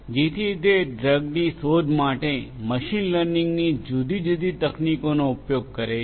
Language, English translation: Gujarati, So, that is where they use different machine learning techniques for drug discovery